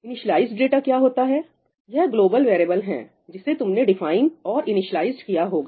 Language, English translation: Hindi, what is initialized data – this is global variables that you may have defined and you have initialized